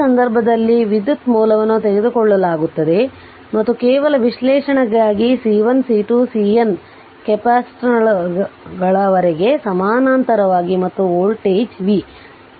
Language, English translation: Kannada, In this case current source is taken and just for analysis right and C 1 C 2 up to C N capacitors are in parallel right and voltage v